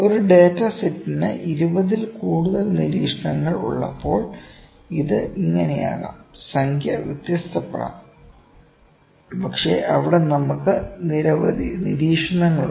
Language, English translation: Malayalam, When a data set is having more than 20 observations typically so, it can be like this number can vary, but they are we have a number of observations